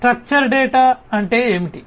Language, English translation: Telugu, Structure data means what